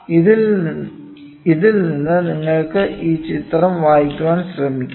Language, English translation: Malayalam, So, from this you can try to read this figure